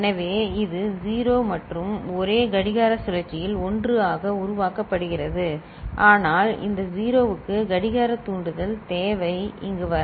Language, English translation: Tamil, So, this is 0 and carry generated as 1 with in the same clock cycle, but we need the clock trigger for this 0 to come over here